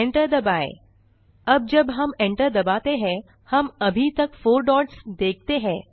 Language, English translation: Hindi, Now when we hit Enter, we still see the four dots